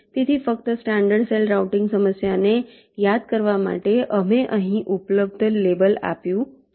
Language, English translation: Gujarati, so, just to recall, in a standard cell routing problem we have label